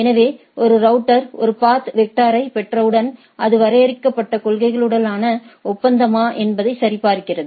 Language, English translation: Tamil, So, once a router receives a path vector, it checks that whether it is a agreement with the with the defined policies right